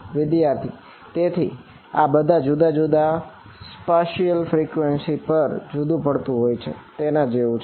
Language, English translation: Gujarati, So, this is like separated on the all the different spatial frequency